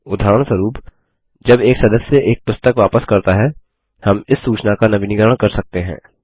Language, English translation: Hindi, For example, when a member returns a book, we can update this information